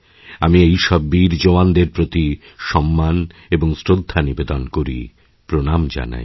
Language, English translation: Bengali, I respectfully pay my homage to all these brave soldiers, I bow to them